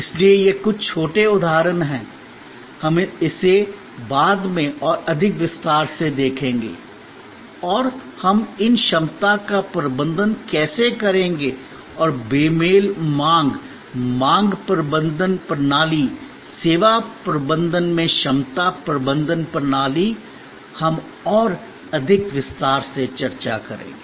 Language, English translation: Hindi, So, these are some little examples of course, we will take this up in more detail later on and how we manage these capacity and demand mismatch, the demand managements system, the capacity management system in service management, we will discuss in that more detail